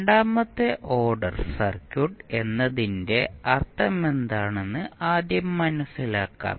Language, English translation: Malayalam, So, let us first understand what we mean by second order circuit